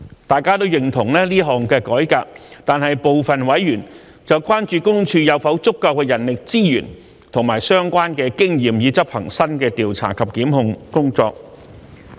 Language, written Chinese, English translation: Cantonese, 大家都認同這項改革，但部分委員關注私隱公署有否足夠人力資源和相關的經驗以執行新的調查及檢控工作。, All of us support this change but some members have been concerned whether PCPD has adequate manpower resources and the relevant experience to undertake the new investigation and prosecution work